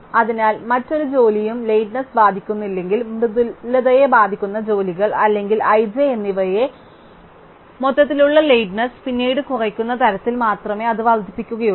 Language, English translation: Malayalam, So, no other job has is lateness affected by the soft only to jobs who lateness changes or i and j by the change in such a way that the overall lateness then only reduce, it cannot increase